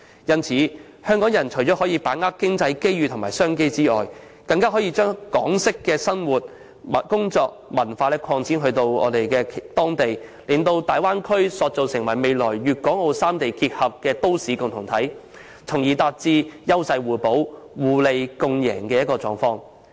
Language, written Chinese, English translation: Cantonese, 故此，港人除可把握經濟機遇及商機外，更可把港式生活、工作及文化擴展至當地，把大灣區塑造成未來粵港澳三地結合的都市共同體，從而達致優勢互補、互利共贏的目的。, Therefore apart from seizing the economic and business opportunities Hong Kong people may also bring the lifestyle work and culture of Hong Kong to the Bay Area and shape the region as a future urban community integrating Guangdong Hong Kong and Macao thereby achieving the objective of complementarity and mutual benefits